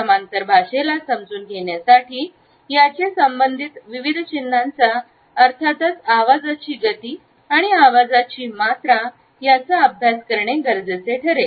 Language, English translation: Marathi, In order to understand paralanguage we have to understand different signs associated with it and these are volume of voice speed of voice etcetera